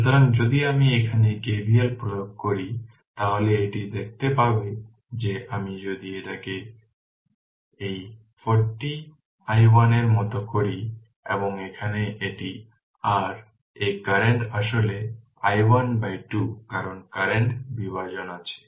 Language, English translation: Bengali, So, if you apply KVL here, it will be look your what you call if I make it like this 40 i 1 right this one and here it is your this current is actually i 1 by 2 because current division is there